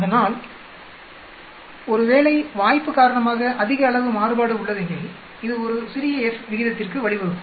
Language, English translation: Tamil, So, in case there is large amount of variance due to chance it will lead to a smaller F ratio